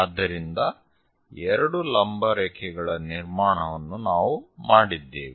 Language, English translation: Kannada, So, two perpendicular lines construction lines we have done